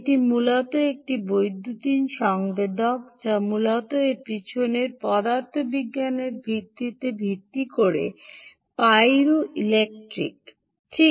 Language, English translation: Bengali, ok, this is essentially a electronic sensor which is based on the principle, the physics behind this is pyroelectricity